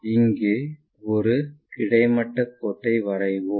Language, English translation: Tamil, So, let us draw a horizontal line also here